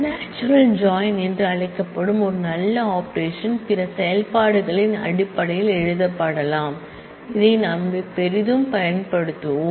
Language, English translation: Tamil, There is a nice operation which is a derived 1 which can be written in terms of other operations which is called a natural join which we will use very heavily